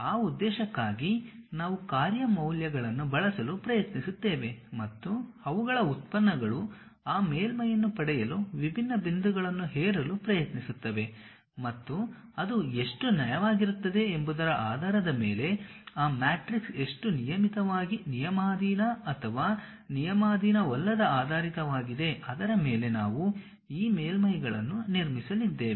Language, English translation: Kannada, For that purpose, we try to use the function values, we use the function values and also their derivatives try to impose it different points to get that surface and that matrix based on how smooth that is how regularly it is conditioned or ill conditioned based on that we will be going to construct these surfaces